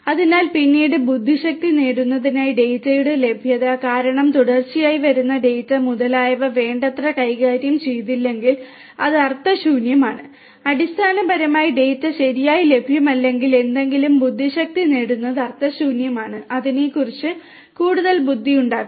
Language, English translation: Malayalam, So, availability of the data in order to derive intelligence later on because if the data that is continuously coming etcetera etcetera is not handled adequately, then it is meaningless basically it is meaningless to derive any intelligence if the data is not available properly then you cannot do any further intelligence on it